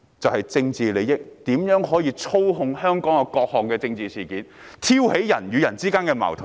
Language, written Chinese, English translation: Cantonese, 為了政治利益，他們操控香港各種政治事件，挑起人與人之間的矛盾。, For the sake of political gains they have manipulated all kinds of local political events and provoked conflicts among people